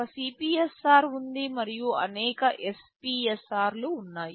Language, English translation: Telugu, There is one CPSR and there are several SPSR